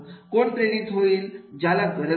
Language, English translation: Marathi, Who will be the motivated, who has the need